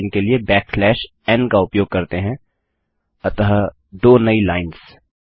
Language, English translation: Hindi, Then just use backslash n which is new line so thats 2 new lines